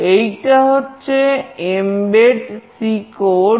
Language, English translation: Bengali, This is the Mbed C code